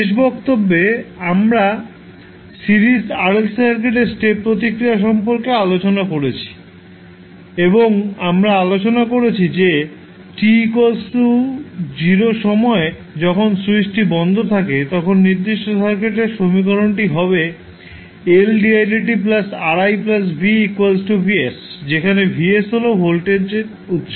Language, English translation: Bengali, In the last class we discussed about the step response of a Series RLC Circuit and we discussed that at time t is equal to 0 when the switch is closed, the equation for the particular circuit is , where the Vs is the voltage source